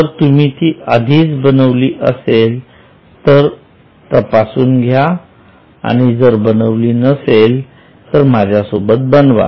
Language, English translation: Marathi, If you have made it yourself earlier, check it if not make it now along with me